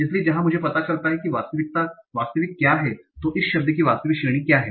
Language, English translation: Hindi, So where I find out what is the actual, so what is the actual category of this word